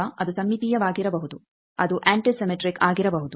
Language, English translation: Kannada, Now, it can be symmetric, it can be antisymmetric